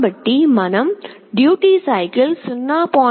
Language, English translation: Telugu, Then we make the duty cycle as 0